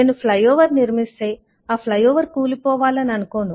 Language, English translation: Telugu, if I construct a flyover, I would not expect the flyover to fall over